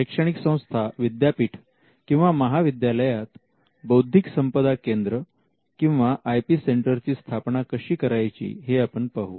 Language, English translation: Marathi, How does an educational institution a university or a college look at setting up intellectual property centres or IP centres